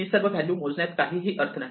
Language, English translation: Marathi, There is no point in counting all these values